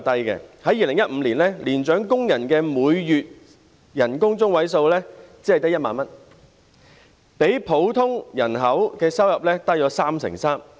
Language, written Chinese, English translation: Cantonese, 在2015年，年長工人的每月收入中位數只有1萬元，較整體工作人口的收入低 33%。, In 2015 the median monthly income of elderly workers stood at 10,000 only and was 33 % lower than the income of the overall working population